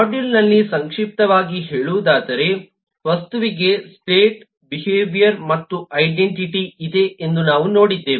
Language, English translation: Kannada, to summarize, on the module, we have seen that the object has state, behavior and identity